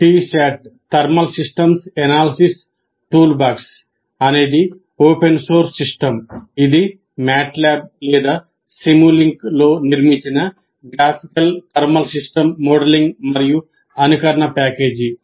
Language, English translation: Telugu, T SAT thermal systems analysis toolbox, an open source system is a graphical thermal system modeling and simulation package built in MATLAB or simulink